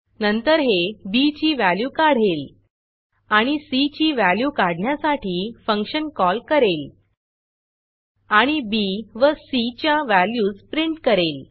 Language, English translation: Marathi, Then, it computes the value of b , and calls a function to compute the value of c, and prints the values of b and c